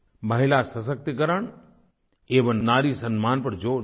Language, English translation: Hindi, He stressed on women empowerment and respect for women